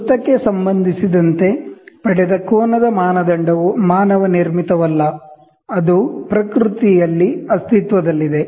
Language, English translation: Kannada, The standard of an angle, which is derived with relation to a circle, is not man made, but exist in nature